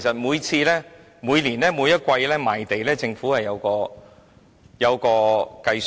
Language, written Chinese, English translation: Cantonese, 每年或每季賣地時，政府都有作出計算。, The Government does make calculations for its yearly or quarterly land sales